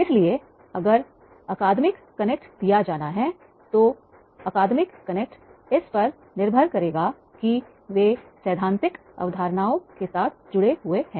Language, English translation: Hindi, So, if academic connect is to be given, that academic connect will depend on that is how this case studies they have been connected with the theoretical concepts